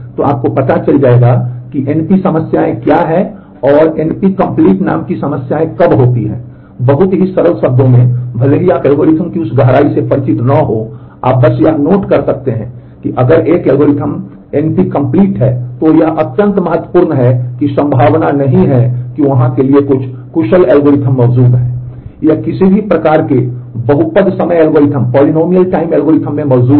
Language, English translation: Hindi, So, you will know what NP problems are and when are problems called NP complete, in very simple terms even if you are not familiar with that depth of algorithms, you can simply issue note that if an algorithm is NP complete, then it is extremely unlikely that there exists in efficient algorithm for